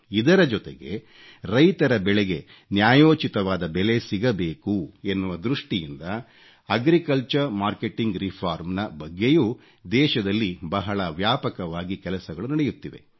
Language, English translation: Kannada, Moreover, an extensive exercise on agricultural reforms is being undertaken across the country in order to ensure that our farmers get a fair price for their crop